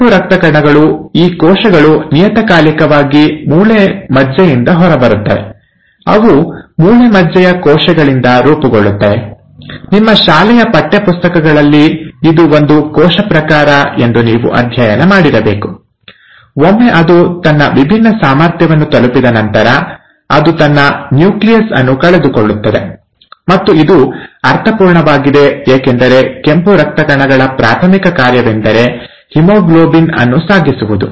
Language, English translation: Kannada, The red blood cells, these cells periodically come out of the bone marrow, they are formed from bone marrow cells and you find, you must have studied in your school textbooks that this is one cell type which once it has differentiated, once it has reached its differentiated ability, it loses its nucleus, and that makes sense because the primary function of the red blood cells is to carry haemoglobin